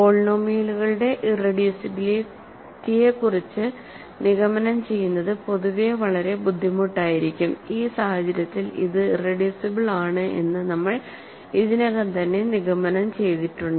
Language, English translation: Malayalam, It may be very difficult in general to conclude irreducibility of polynomials, in this case we have already just immediately concluded that it is irreducible